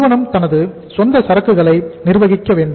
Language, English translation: Tamil, The company itself has to manage its own inventory